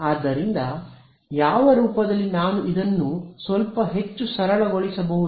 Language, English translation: Kannada, So, what form will what how can I simplify this a little bit more